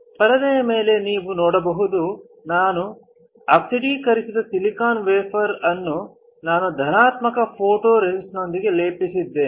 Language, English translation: Kannada, On the screen you can see, I have coated my oxidised silicone wafer with a positive photoresist